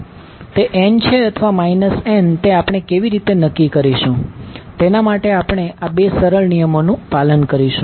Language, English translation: Gujarati, How we will decide whether it will be n or minus n, we will follow these 2 simple rules